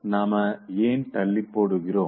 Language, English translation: Tamil, Why do we procrastinate